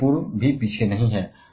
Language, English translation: Hindi, Middle east is also not far behind